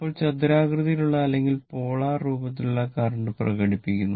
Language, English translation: Malayalam, So now, expressing the current in rectangular or polar form right